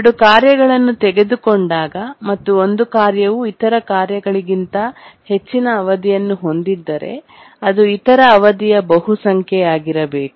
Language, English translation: Kannada, Whenever we take two tasks, if one task has a higher period than the other task then it must be a multiple of the period